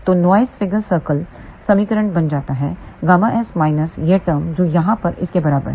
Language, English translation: Hindi, So, noise figure circle equation comes out to be gamma s minus this term which is equal to this here